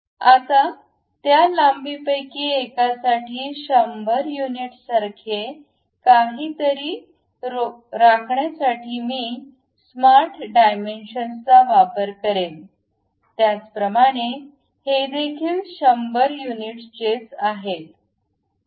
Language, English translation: Marathi, Now, I would like to use smart dimensions to maintain something like 100 units for one of that length; similarly this one also 100 units